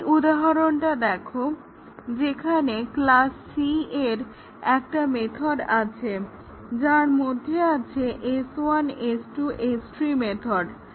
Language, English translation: Bengali, Just look at this example, where the class c has a method which gets a mount to method of S1, S2 and S3